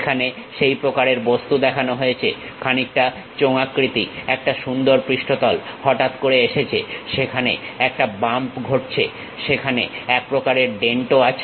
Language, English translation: Bengali, Here such kind of object is shown, a something like a cylindrical nice surface comes suddenly, there is a bump happens there a kind of dent also there